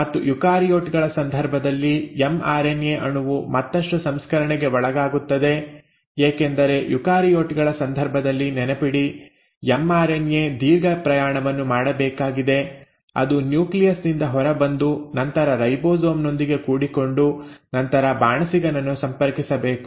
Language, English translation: Kannada, And in case of eukaryotes the mRNA molecule then undergoes further processing because remember in case of eukaryotes, the mRNA has to travel a long journey, it has to come out of the nucleus and then dock on to a ribosome and then approach the chef